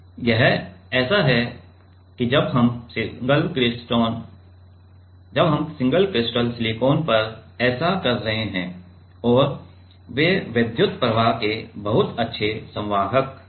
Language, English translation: Hindi, That is like while we are doing this on single crystal silicon and they are very good conductor of electric current right